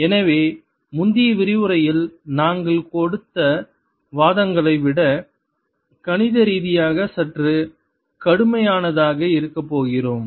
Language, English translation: Tamil, so we are going to be mathematical, little more rigorous than the arguments that we gave in the previous lecture